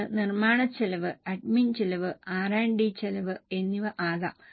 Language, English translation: Malayalam, It can be manufacturing costs, admin costs, R&D costs